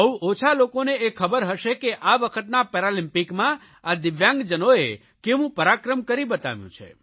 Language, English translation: Gujarati, Only very few people might be knowing as to what stupendous feats were performed by these DIVYANG people in the Paralympics this time